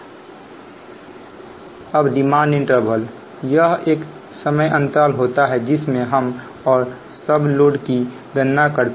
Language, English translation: Hindi, right then demand interval: it is the time period over which the average load is computed